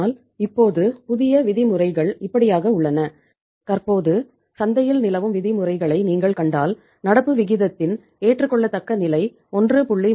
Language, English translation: Tamil, But now the new norms are like that if you see the norms currently prevailing in the market the proper say you can call it acceptable level of current ratio is 1